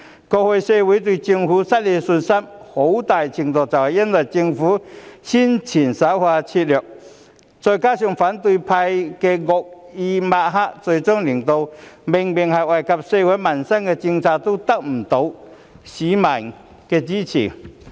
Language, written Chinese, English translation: Cantonese, 過去社會對政府失去信心，很大程度是因為政府的宣傳手法拙劣，再加上反對派的惡意抹黑，最終令到明明是惠及社會民生的政策，也得不到市民的支持。, The societys loss of confidence in the Government in the past was largely due to its poor publicity coupled with the malicious smearing by the opposition camp it turned out that those policies obviously beneficial to society and peoples livelihood had also failed to obtain public support . The vaccination programme which benefits everyone is another example